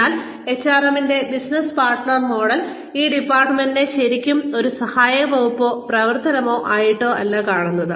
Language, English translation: Malayalam, But, business partner model of HRM, sees this department as, not really as an assistive department or activity